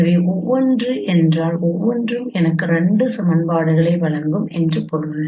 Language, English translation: Tamil, So it will give you me give you only two equations